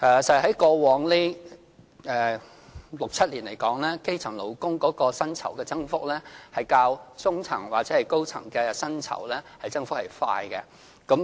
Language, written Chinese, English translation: Cantonese, 在過往這六七年，基層勞工薪酬的增長較中層或高層的薪酬增長為快。, In the past six or seven years the pay increases for elementary employees were bigger than those for the middle - or higher - level employees